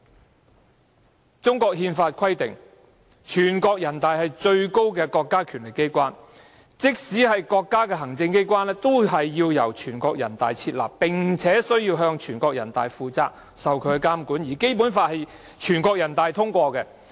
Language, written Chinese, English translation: Cantonese, 《中華人民共和國憲法》規定，全國人大是國家的最高權力機關，即使是國家行政機關也須由全國人大設立，並向全國人大負責，接受監管，而《基本法》更業經全國人大通過。, As specified in the Constitution of the Peoples Republic of China the National Peoples Congress NPC is the highest organ of state power and all administrative organs of the state are set up by NPC . These administrative organs shall be held accountable to NPC and subject to its supervision and the Basic Law has also been adopted by NPC